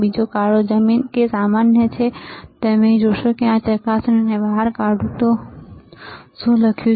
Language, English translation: Gujarati, So, black is ground or common right and you will see here, if I just take out this probes, you see here, what is written